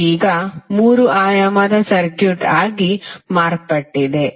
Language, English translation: Kannada, It is now become a 3 dimensional circuit